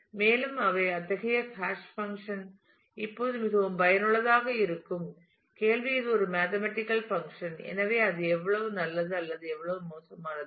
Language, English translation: Tamil, And; so, such a hash function would be really useful now the question is a it is a mathematical function; so, how good or how bad it is